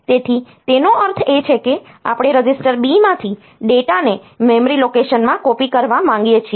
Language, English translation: Gujarati, So, what it means is that we want to copy from data register B into a memory location